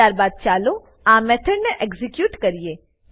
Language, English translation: Gujarati, Then let us execute this method